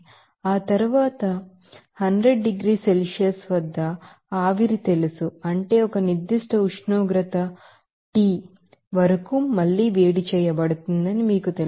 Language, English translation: Telugu, And after that, this you know vapour at 100 degrees Celsius to be you know heated up again to a certain temperature T